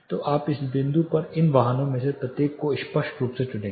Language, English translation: Hindi, So, now at this point you will be hearing distinctly each of these vehicles